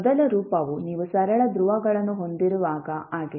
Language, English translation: Kannada, So, first form is when you have simple poles